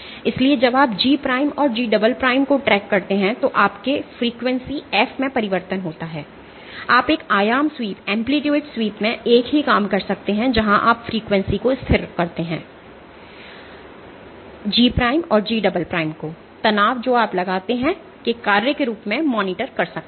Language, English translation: Hindi, So, in frequency sweep your frequency f changes while you track G prime and G double prime, you can do the same thing in an amplitude sweep where you keep the frequency constant and you monitor G prime and G double prime as a function of the amount of strain that you impose ok